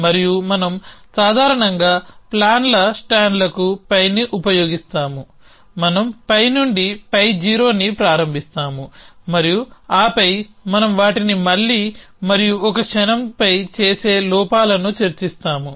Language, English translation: Telugu, And we will use pi to stands of plans in general we initialize pi to pi 0 and then while we discuss flaws that will pi them again and a moment